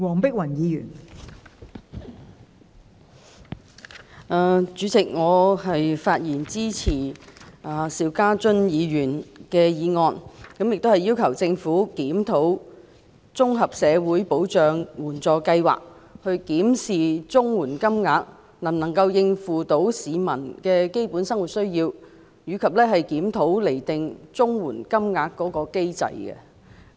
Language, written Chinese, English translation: Cantonese, 代理主席，我發言支持邵家臻議員的議案，並要求政府檢討綜合社會保障援助計劃，檢視綜援金額是否足以應付市民基本的生活需要，以及檢討釐定綜援金額的機制。, Deputy President I speak in support of Mr SHIU Ka - chuns motion and I call on the Government to review the Comprehensive Social Security Assistance CSSA Scheme examine whether the CSSA rates can meet the basic livelihood needs of the people and review the mechanism for determining the CSSA rates